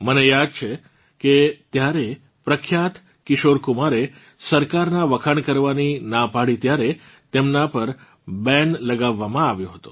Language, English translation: Gujarati, I remember when famous singer Kishore Kumar refused to applaud the government, he was banned